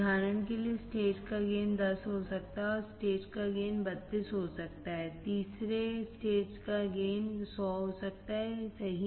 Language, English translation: Hindi, For example, gain of the stage may be 10 and gain of stage may be 32, the gain of third stage may be 100 right